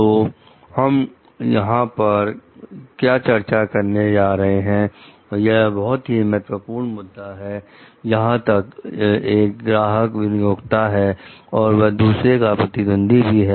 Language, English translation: Hindi, So, what we are going to discuss over here, this is a very critical issue where one of the ones clients are employers may be competitors of one another